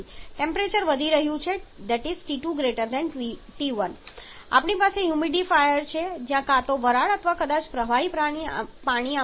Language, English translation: Gujarati, So, the temperature is increasing T2 is greater than T1 then we have a humidifier where either steam or maybe liquid water is spread into this